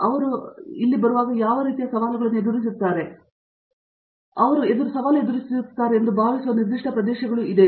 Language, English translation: Kannada, Are there specific areas that you feel they face challenges in where they settle into an MS PhD program